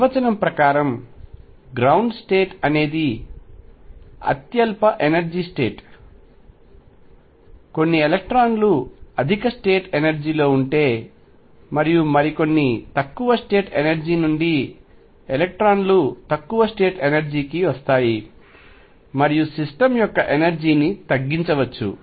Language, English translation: Telugu, Ground state by the definition is the lowest energy state, if some electrons are at higher state energy and others are at lower the electrons from higher state energy can dump come down to lower state energy and lower the energy of the system